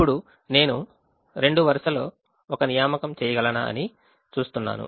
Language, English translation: Telugu, i see whether i can make an assignment in the second row